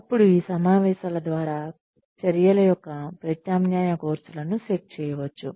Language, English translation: Telugu, Then, through these meetings, alternative courses of actions can be set